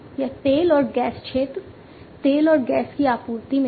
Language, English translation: Hindi, It is in the oil and gas sector, supply of oil and gas